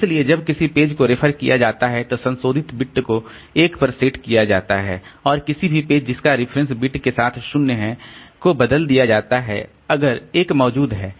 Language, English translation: Hindi, So, when a page is reference the associated bit is set to one and replace any page with reference bit equal to 0 if one exists